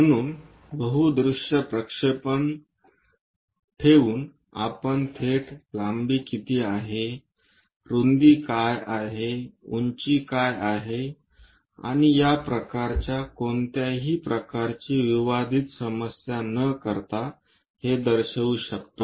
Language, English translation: Marathi, So, by having a view projection view multi view we can straight away represent what is length, what is width, what is height, and this kind of things without making any aberrational issues